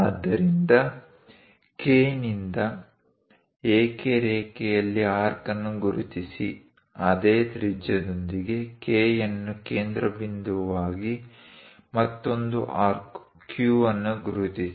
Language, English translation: Kannada, So, from K; mark an arc on AK line; with the same radius, from K as centre; mark another arc Q